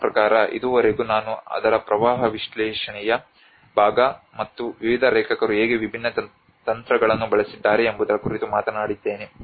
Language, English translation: Kannada, I mean till now I talked about the flood analysis part of it and how different techniques have been used by various authors